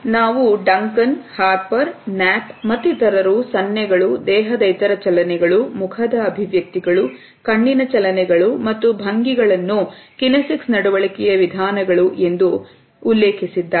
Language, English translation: Kannada, We can refer to Duncan as well as Harper and others and Knapp, who had enumerated gestures and other body movements, facial expressions, eye movements and postures as modalities of kinesic behavior